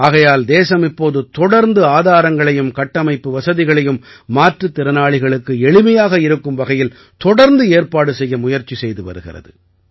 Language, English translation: Tamil, That is why, the country is constantly making efforts to make the resources and infrastructure accessible to the differentlyabled